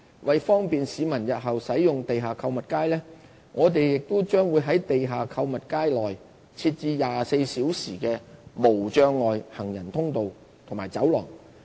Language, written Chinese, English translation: Cantonese, 為方便市民日後使用地下購物街，我們將在地下購物街內設置24小時的無障礙行人通道和走廊。, In future barrier - free pedestrian walkwayscorridors will be available round the clock at the underground shopping streets for ease of access by the general public